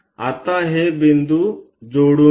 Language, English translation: Marathi, Now, join these points